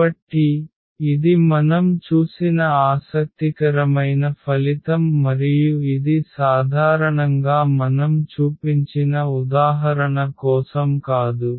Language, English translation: Telugu, So, that is interesting result we have seen and that is true in general not for the example we have just shown